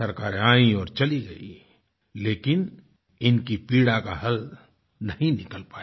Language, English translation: Hindi, Governments came and went, but there was no cure for their pain